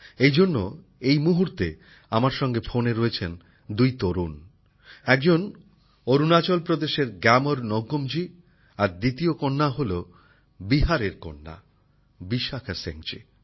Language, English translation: Bengali, That's why two young people are connected with me on the phone right now one is GyamarNyokum ji from Arunachal Pradesh and the other is daughter Vishakha Singh ji from Bihar